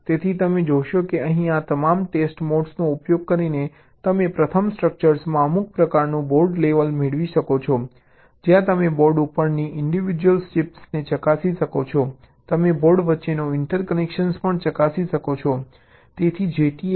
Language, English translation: Gujarati, so you see that here, using all these test modes, your able to, ah, get a some kind of a board level in first structure where you can test the individual chips on the board